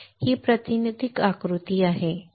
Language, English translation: Marathi, This is the representative diagram